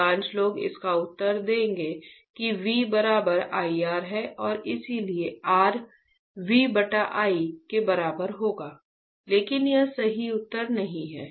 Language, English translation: Hindi, Most of people will answer it is V equals to IR and that is why R will be equals to V by I right, but that is not a correct answer